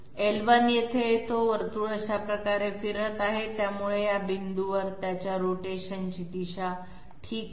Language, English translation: Marathi, L1 comes here, the circle is rotating this way, so they have same direction of rotation at this point okay